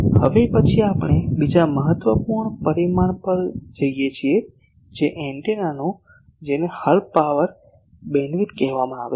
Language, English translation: Gujarati, Now next we go to another important parameter that is of antenna that is called Half Power Beamwidth